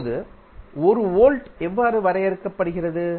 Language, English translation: Tamil, Now, how you will measure 1 volt